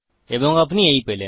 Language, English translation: Bengali, And there you go